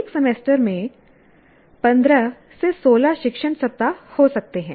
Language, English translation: Hindi, Let us take you, one may have 15 to 16 teaching weeks in a semester